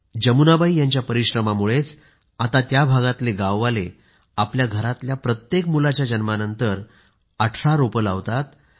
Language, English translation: Marathi, It is a tribute to Jamunaji's diligence that today, on the birth of every child,villagersplant 18 trees